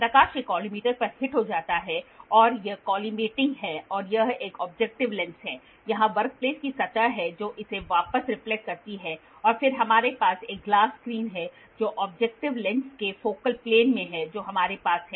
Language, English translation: Hindi, So, have a microscope from here the light goes hits at a collimator and this is the collimating and this is an objective lens, here is the work piece surface it reflects back and then we have a glass screen which is in the focal plane of the objective lens we have